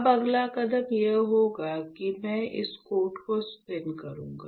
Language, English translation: Hindi, Now the next step would be I will spin coat this one